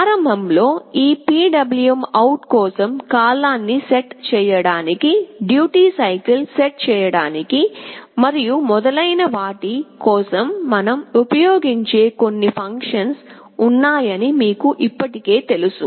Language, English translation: Telugu, In the beginning, for this PwmOut, you already know that there are some functions we can use to set the period, to set the duty cycle, and so on